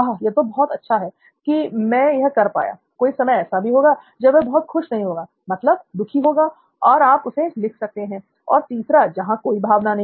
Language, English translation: Hindi, okay that I could do this and there are times when he is not so happy, meaning sad and you jot that down and there is a third one where there is no emotion